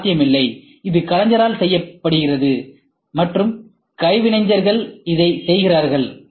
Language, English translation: Tamil, It is not possible, this is done by artist and craftsmen do it